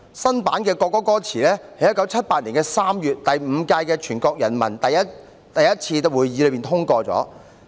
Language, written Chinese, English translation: Cantonese, 新版的國歌歌詞在1978年3月第五屆全國人民代表大會第一次會議通過。, The new lyrics of the national anthem were adopted at the First Session of the Fifth National Peoples Congress NPC in March 1978